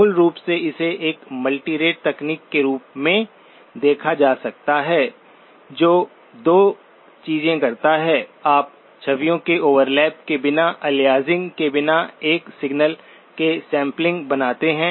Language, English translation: Hindi, Basically it can be viewed as a multirate technique which does 2 things; you create samples of a signal without aliasing, without overlap of images